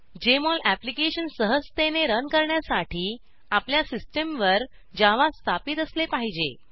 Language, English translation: Marathi, For Jmol Application to run smoothly, you should have Java installed on your system